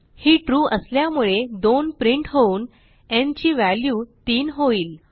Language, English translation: Marathi, since it is true, again 2 is printed and n becomes 3